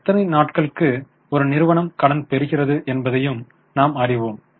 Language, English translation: Tamil, We also know that how many days the company is getting credit